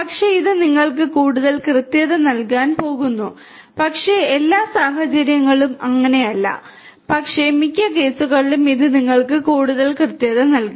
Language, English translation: Malayalam, The, but it is going to give you more accuracy in general, but not in all cases, but in most cases it is going to give you more and more accuracy